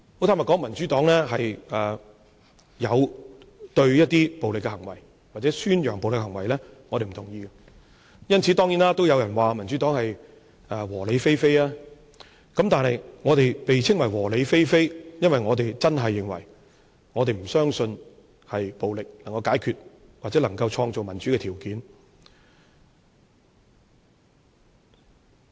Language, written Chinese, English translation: Cantonese, 坦白說，民主黨有對暴力行為或宣揚暴力的行為表示不同意，當然也有人因此說民主黨是"和理非非"，但我們被稱為"和理非非"，因為我們真的不相信暴力能夠解決問題或創造民主的條件。, Frankly speaking the Democratic Party has expressed disapproval to acts of violence or advocacy of violence . Some people therefore say that the Democratic Party is peaceful rational non - violent without foul language . We are labelled peaceful rational non - violent without foul language simply because we really do not believe that violence is a condition to resolve problems or bring about democracy